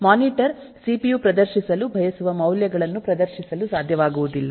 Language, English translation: Kannada, monitor would not be able to display the values that the cpu want to display